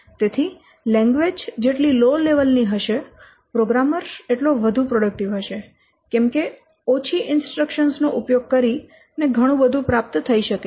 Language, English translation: Gujarati, So that's why the lower level of the language, the more productive with the programmer is by using only fewer statements he can achieve a lot of jobs